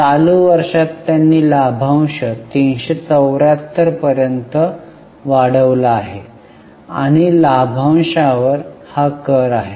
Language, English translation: Marathi, In the current year they have increased the dividend to 374 and this is the tax on dividend